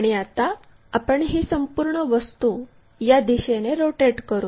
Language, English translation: Marathi, Now, what we want to do is rotate this entire object in this direction